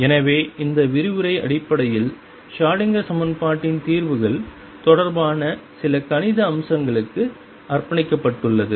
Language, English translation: Tamil, So, this lecture is essentially devoted to some mathematical aspects related to the solutions of the Schrodinger equation